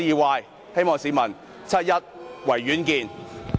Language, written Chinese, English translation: Cantonese, 各位市民，七一維園見。, Fellow citizens let us meet in Victoria Park on 1 July